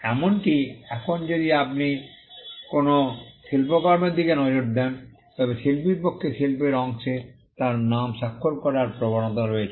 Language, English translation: Bengali, Even now, if you look at a work of art, there is a tendency for the artist to sign his or her name in the piece of art